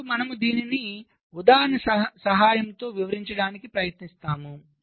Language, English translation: Telugu, now i shall try to explain this with the help of an example